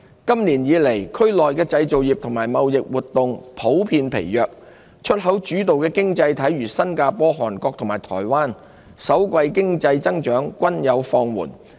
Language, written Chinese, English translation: Cantonese, 今年以來，區內製造業和貿易活動普遍疲弱。出口主導的經濟體如新加坡、韓國及台灣，首季經濟增長均放緩。, Manufacturing and trade activities in the region have been weak in general so far this year with export - oriented economies such as Singapore Korea and Taiwan registering slower growth in the first quarter